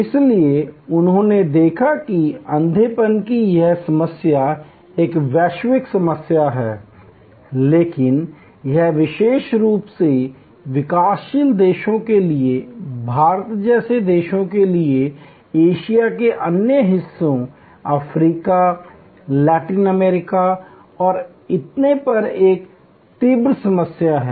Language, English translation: Hindi, So, they looked at that this problem of blindness is a global problem, but it is particularly an acute problem for the developing world, for countries like India, other parts of Asia, Africa, Latin America and so on